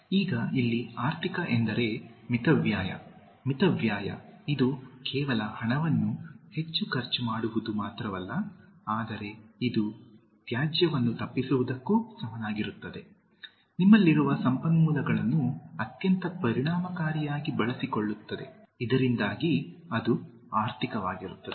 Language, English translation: Kannada, Now, economical here means, being thrifty, frugal, it’s not just spending money too much, but it also amounts to avoiding waste, using the resources that you have in a very efficient manner, so that amounts to be economic